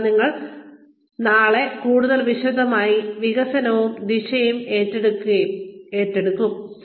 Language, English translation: Malayalam, And, we will take up, development and direction, tomorrow, in greater detail